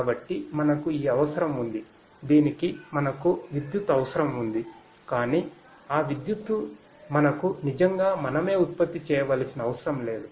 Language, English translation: Telugu, So, we have this necessity for that we have the necessity for electricity, but that electricity we do not really have to generate ourselves; we do not have to generate ourselves